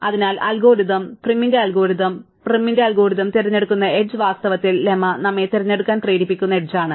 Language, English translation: Malayalam, So, the algorithm, the prim's algorithm, the edge that the prim's algorithm picks is in fact the edge that the lemma forces us to pick